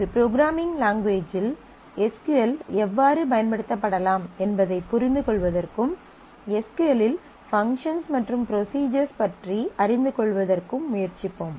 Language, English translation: Tamil, And we will try to understand how SQL can be used from a programming language, and familiarize with functions and procedures in SQL